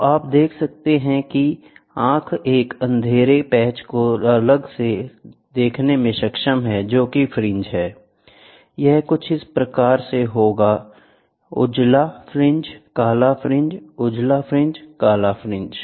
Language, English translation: Hindi, The eye is able, so, you can see the eye is able, able to see a distinct patch of darkness termed as fringe so, bright fringe, dark fringe, bright fringe, dark fringe, bright fringe, dark fringe